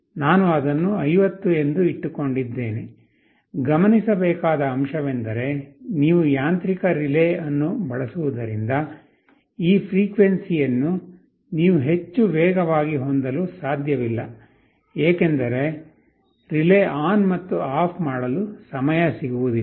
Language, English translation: Kannada, I have kept it as 50; the point to note is that because you using a mechanical relay, you cannot have this frequency too much faster, as the relay will not get time to switch ON and OFF